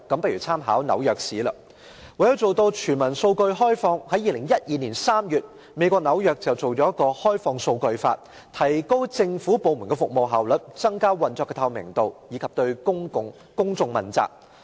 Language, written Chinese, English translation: Cantonese, 為了做到全民數據開放，在2012年3月，美國紐約訂立了《開放數據法》，以提高政府部門的服務效率、增加其運作的透明度，以及對公眾問責。, To open up data for everyone the Open Data Law was enacted in New York the United States in March 2012 to raise the efficiency of services of government departments enhance the transparency of their operation and make them accountable to the public